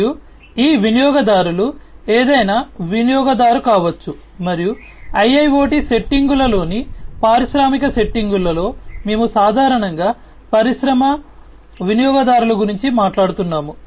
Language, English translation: Telugu, And these users could be any user and in the industrial settings in the IIoT settings we are talk talking about industry users typically